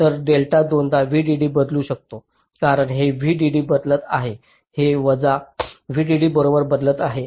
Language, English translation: Marathi, so delta, the change can be twice v d d, because this is changing plus v d d